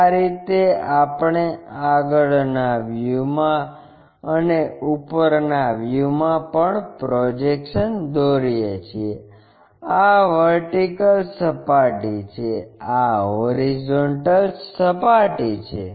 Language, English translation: Gujarati, This is the way we draw projections in the front view and also in the top view, this is the vertical plane, this is the horizontal plane